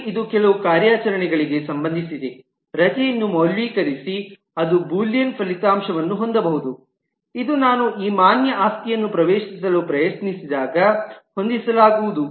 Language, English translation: Kannada, But this will relate to some operations, say validate leave, which can have the result of a Boolean which will be set when I try to access